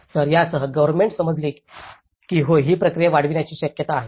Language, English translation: Marathi, So, with this, the government have understood that yes there is a possibility that to scale up this process